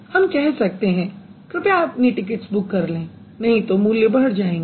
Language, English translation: Hindi, Please book your tickets as soon as possible, otherwise the prices are going to high up